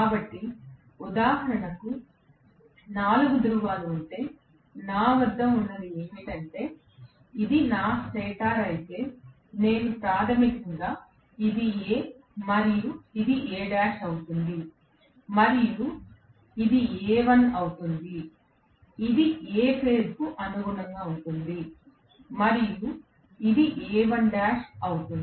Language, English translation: Telugu, So, if it is, for example, 4 pole then what I will have is, if this is my stator, I will have basically this is A and this will be A dash and this will be A 1 which is also corresponding to A phase and this will be A 1 dash